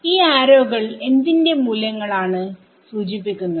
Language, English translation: Malayalam, So, this arrows refer to values of what